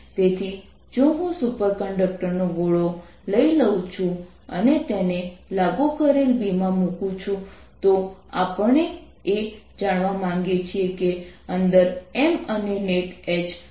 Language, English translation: Gujarati, so if i take a sphere of superconductor and put in an applied field b applied, we would like to know what is m inside and what is the net h